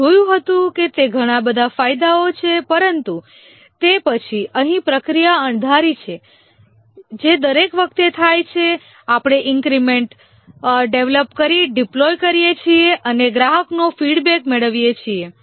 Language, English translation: Gujarati, We've seen that it's a lot of advantages but then here the process is unpredictable that is each time we develop an increment deploy deploy and get the customer feedback